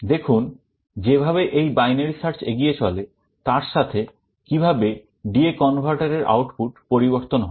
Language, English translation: Bengali, See as this binary search goes on, how the output of the D/A converter changes